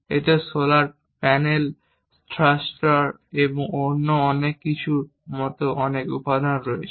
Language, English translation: Bengali, It contains many components like solar panels, thrusters and many other things